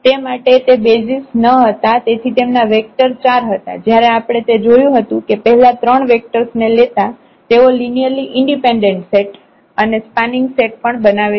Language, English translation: Gujarati, Therefore, it was not a basis so, their vectors were 4 while we have seen that taking those 3 vector first 3 vectors that form a linearly independent set and also a spanning set